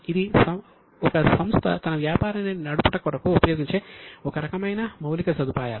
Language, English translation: Telugu, It is a kind of infrastructure using which company does it business